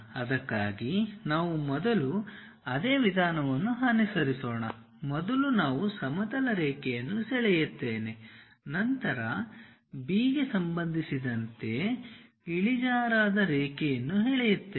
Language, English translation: Kannada, For that the same procedure we will follow first we will draw a horizontal line, then draw an incline line with respect to B we are rotating it